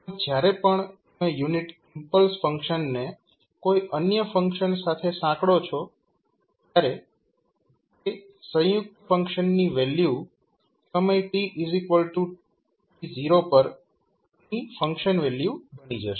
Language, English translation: Gujarati, So, whenever you associate unit impulse function with any other function the value of that particular combined function will become the function value at time t is equal to t naught